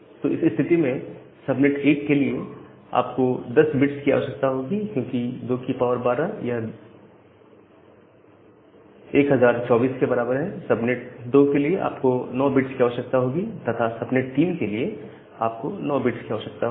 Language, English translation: Hindi, Now, if this is the case, then for subnet 1 you require 10 bits, because 2 to the power 2 equal to 1024, for subnet 2 you require 9 bits, for subnet 3 you again require 9 bits